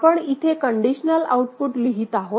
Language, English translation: Marathi, So, here we are writing the conditional output